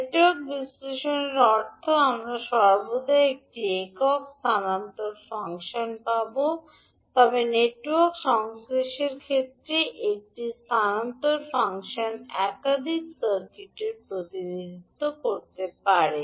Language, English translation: Bengali, Means for Network Analysis we will always get one single transfer function but in case of Network Synthesis one transfer function can represent multiple circuits